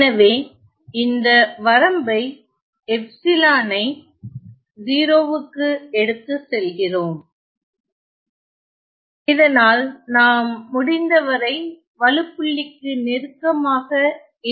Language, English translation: Tamil, So, and we take this limit epsilon going to 0 so that we are as close to the point of singularity as possible